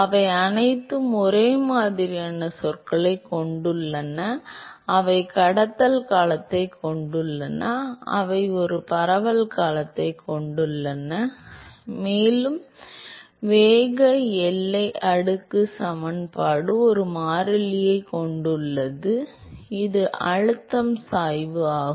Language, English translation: Tamil, They all have same terms they have a conduction term, they have a diffusion term plus the momentum boundary layer equation has a constant which is the pressure gradient